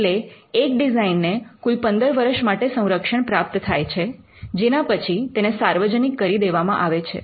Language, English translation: Gujarati, So, there can be a total protection of 15 years, and after which the design falls into the public domain